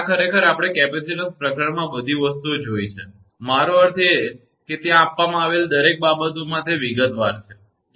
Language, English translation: Gujarati, This actually, we have seen in the capacitance chapter and all things are, I mean detailed in given everything is given there, right